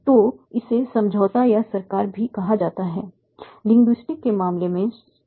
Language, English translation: Hindi, So this is also called the agreement or government, government in the case of linguistics